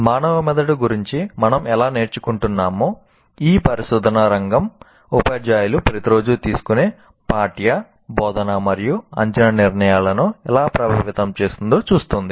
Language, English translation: Telugu, This field of inquiry looks at how we are learning about the human brain can affect the curricular, instructional and assessment decisions that teachers make every day